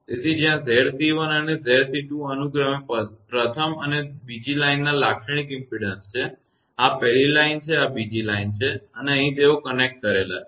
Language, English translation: Gujarati, So, where Z c 1 and Z c 2 are the characteristic impedance of the first and the second line respectively; this is of first line this is of the second line and here they are connected